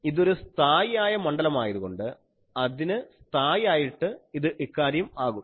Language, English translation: Malayalam, This is a constant field so, constant for that this becomes the thing